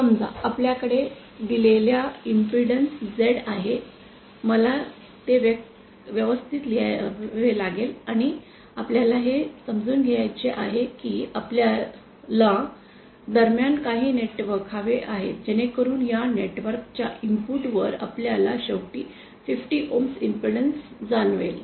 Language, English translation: Marathi, Let us suppose we have an impedance Z given by and we want to realise we are to have some network in between so that we finally realise 50 ohms impedance at the input of this network